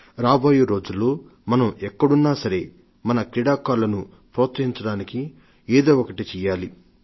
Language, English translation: Telugu, In the days to come, wherever we are, let us do our bit to encourage our sportspersons